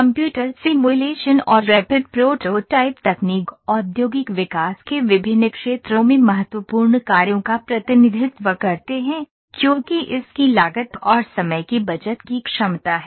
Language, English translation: Hindi, Computer simulation and rapid prototyping technologies represent important tasks in different areas of industrial development, because of its potential of cost and time saving